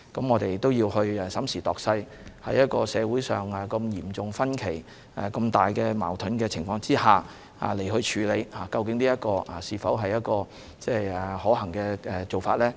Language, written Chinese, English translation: Cantonese, 我們要審時度勢，在社會出現嚴重分歧和矛盾的情況之下，究竟這是否可行的做法呢？, We need to take stock of the situation . Given the serious disagreement and conflicts in society is this actually a feasible approach?